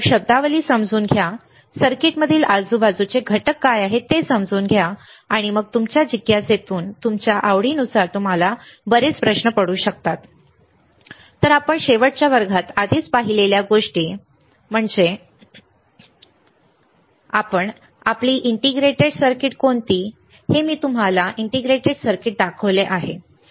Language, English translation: Marathi, So, understand the terminologies understand what are the components around in the circuit and then you can have lot of questions out of your curiosity your interest right So, let us see the thing that we have already seen in the last class, and which is your integrated circuit, right